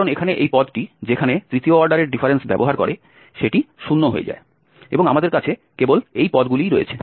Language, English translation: Bengali, Because this term here where it uses the third order difference that becomes 0 and we have only these terms